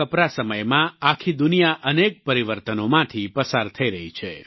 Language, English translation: Gujarati, During this ongoing period of Corona, the whole world is going through numerous phases of transformation